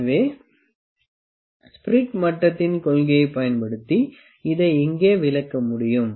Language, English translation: Tamil, So, I can explain this using the principle of the spirit level here